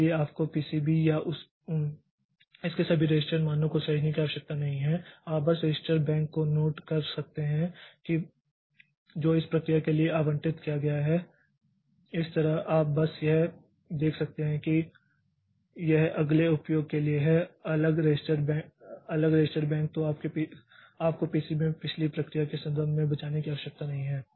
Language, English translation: Hindi, For example in different processors you may find that we have got a duplicate set of registers so that you don't need to save all the register values in the PCB or so you can just note down the register bank which is allocated to this process so that way you can just so if it is if you the next process uses a different register bank then you don't need to save the context of previous process into the PCB